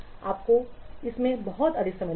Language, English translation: Hindi, It will take a much long amount of time